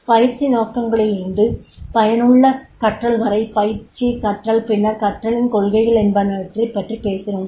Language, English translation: Tamil, So, from these training objectives to the effective learning through the training, learning education and then we talk about what are the learning principles are there